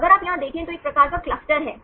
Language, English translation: Hindi, If you see here, it is kind of clusters